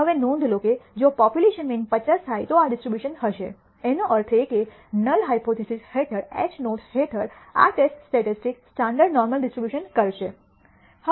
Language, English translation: Gujarati, Now, notice that this will be the distribution if the population mean happens to be 50; that means, under h naught under the null hypothesis this test statis tic will have a standard normal distribution